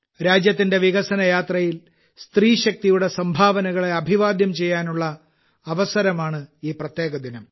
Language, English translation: Malayalam, This special day is an opportunity to salute the contribution of woman power in the developmental journey of the country